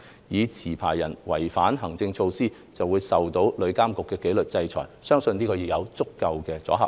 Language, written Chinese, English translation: Cantonese, 如持牌人違反行政措施，會受到旅監局的紀律制裁，相信已有足夠的阻嚇力。, The disciplinary actions taken by TIA against non - compliant licensees are believed to have sufficient deterrent effect